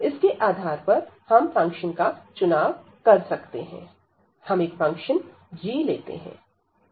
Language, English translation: Hindi, So, based on this now we can select the function, we can choose the function g